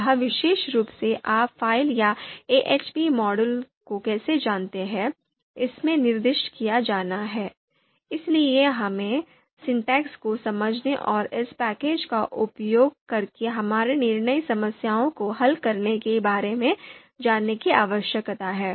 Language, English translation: Hindi, How this particular you know file or the model ahp model is to be specified in this, so we need to understand the syntax and how to go about you know for solving our decision problems using this package